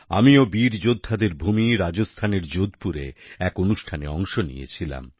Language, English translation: Bengali, I too participated in a programme held at Jodhpur in the land of the valiant, Rajasthan